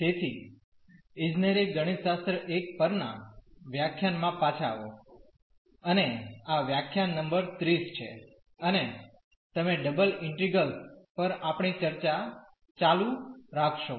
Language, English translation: Gujarati, So, welcome back to the lectures on Engineering Mathematics I and this is lecture number 30 and you will continue our discussion on Double Integrals